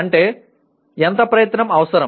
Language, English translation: Telugu, That is how much effort is needed